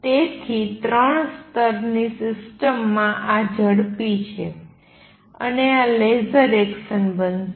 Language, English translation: Gujarati, So, in a three level system this is fast and this is going to be laser action